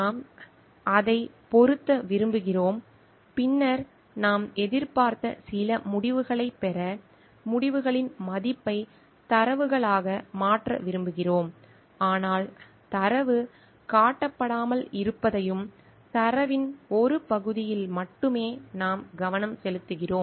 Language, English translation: Tamil, We want to fit into it, then we want to change the value of the results to data to get certain results that we expected, but we find that the data is not showing and datas we are just focusing on one part of the data because it is more close to proving our hypothesis